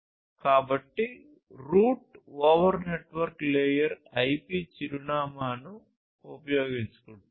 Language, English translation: Telugu, So, route over basically utilizes network layer IP address, ok